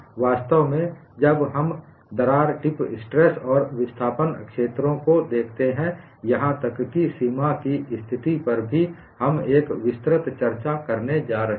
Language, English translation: Hindi, In fact, when we look at crack tips, stress and displacement fields, even on the boundary condition, we are going to have an elaborate discussion